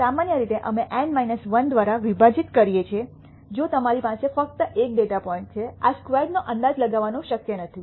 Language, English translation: Gujarati, Typically we divide by N minus 1 to indicate that if you have only one data point; it is not possible to estimate s squared